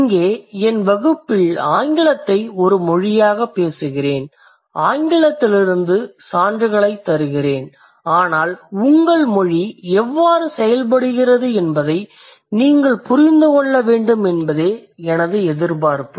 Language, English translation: Tamil, Though the, in my class here in particular, I'm talking about English as a language and I am giving you examples of examples from English but my expectation is that you should be able to understand how your language works